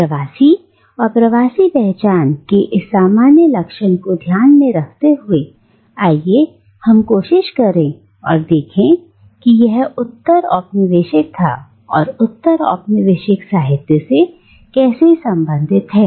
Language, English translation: Hindi, Now, keeping in mind this general characterisation of diaspora and diasporic identity, let us now try and see how it relates to postcolonialism and postcolonial literature